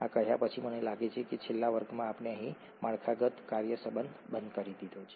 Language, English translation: Gujarati, Having said these I think in the last class we stopped here the structure function relationship